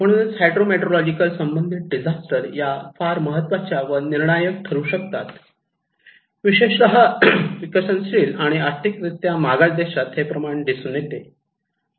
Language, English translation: Marathi, So, hydro meteorological disasters are very critical, particularly when we are looking into developing countries or underdeveloped countries